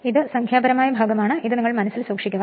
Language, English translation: Malayalam, This thing for numerical part you have to keep it in your mind